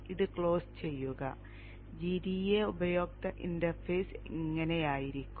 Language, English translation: Malayalam, This is how the GEDA user interface will look like